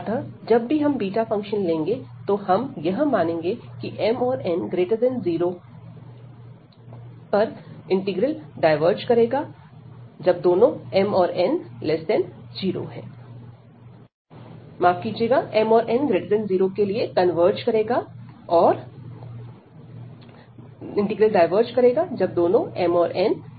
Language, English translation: Hindi, So, whenever we will be taking these beta this beta function, we will assume this m and n greater than 0, because the integral diverges when these 2 m and n are less than equal to 0